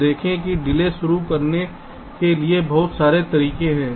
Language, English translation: Hindi, so see, there are so many ways to introduce a delay